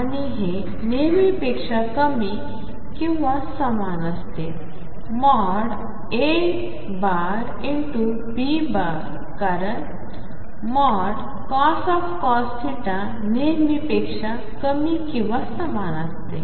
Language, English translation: Marathi, And this is always less than or equal to mod A mod B product because cos theta mod is always less than or equal to 1